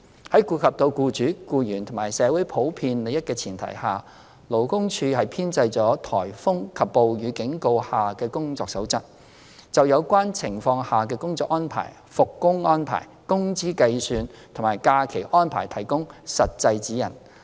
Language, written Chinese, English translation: Cantonese, 在顧及到僱主、僱員和社會普遍利益的前提下，勞工處編製了"颱風及暴雨警告下的工作守則"，就有關情況下的工作安排、復工安排、工資計算及假期安排提供實際指引。, It will also affect the flexibility of employers and employees in working out their work arrangements . Taking into account the general interests of employers employees and the community LD has published the Code of Practice in times of Typhoons and Rainstorms to provide practical guidelines on work arrangements resumption of work as well as calculation of wages and holiday arrangements under such circumstances